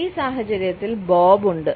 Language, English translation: Malayalam, In this scenario we have Bob